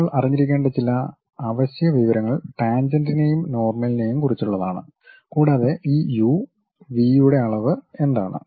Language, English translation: Malayalam, Some of the essential information what one should really know is about tangent and normals, and what is the range these u and v information one will be having